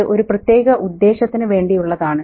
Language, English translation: Malayalam, It's there for a specific purpose